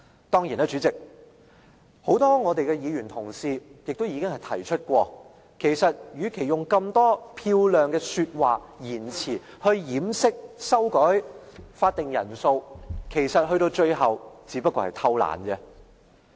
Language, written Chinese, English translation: Cantonese, 當然，代理主席，很多議員同事已經提過，與其以這麼多漂亮的說話和言詞掩飾修改法定人數的做法，其實到了最後，只不過是偷懶。, Deputy President as many Honourable colleagues have already mentioned what lay behind the many rhetoric speeches and remarks on the proposed quorum reduction is their laziness